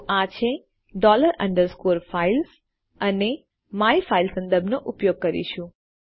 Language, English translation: Gujarati, So this is dollar underscore files and well use the myname reference